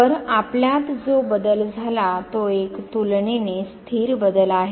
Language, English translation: Marathi, So, the change that has come to us is a relatively stable change